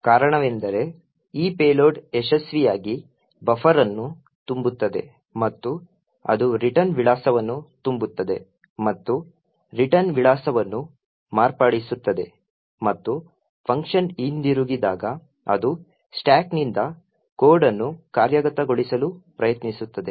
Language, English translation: Kannada, The reason being is that this payload would successfully overflow the buffer and it will overflow the return address and modify the return address and at the return of the function it would try to execute code from the stack